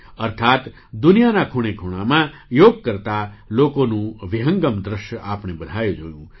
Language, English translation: Gujarati, That is, we all saw panoramic views of people doing Yoga in every corner of the world